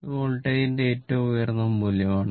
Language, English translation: Malayalam, So, this is the peak value of the voltage